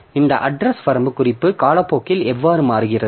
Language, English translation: Tamil, So, how this address range reference changes over time